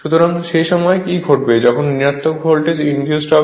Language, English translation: Bengali, So, at that time what will happen that when negative voltage will be induced